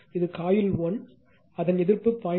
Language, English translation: Tamil, This is coil 1, its resistance is 0